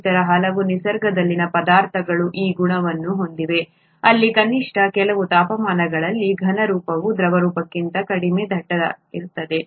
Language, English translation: Kannada, Not many other substances in nature have this property where the solid is, solid form is less dense than the liquid form, at least at certain temperatures